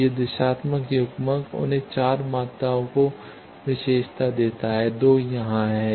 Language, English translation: Hindi, So, these directional couplers they get characterized by 4 quantities 2 are here